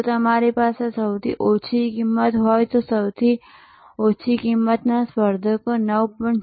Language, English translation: Gujarati, If you are lowest price a lowest cost competitors is 9